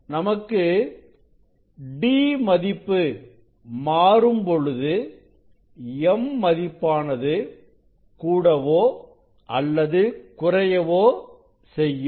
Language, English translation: Tamil, If you decrease this d, so m will decrease then what will happen